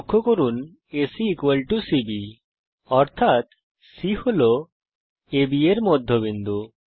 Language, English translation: Bengali, C ,B Notice that AC = CB implies C is the midpoint of AB